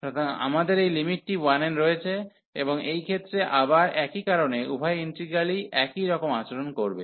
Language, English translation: Bengali, So, we have this limit as 1, and in this case again for the same reason both the integrals will behave the same